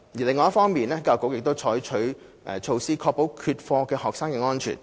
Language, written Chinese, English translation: Cantonese, 另一方面，教育局已採取措施，確保缺課學生的安全。, Besides the Education Bureau has taken measures to ensure the safety of absentee students